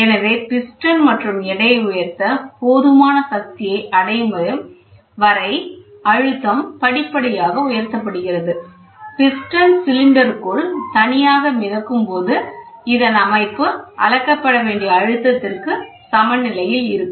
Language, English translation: Tamil, So, the pressure is applied gradually until enough force is attained to lift the piston and the weight combination, when the piston is floating freely within the cylinder, the system is in equilibrium with the system pressure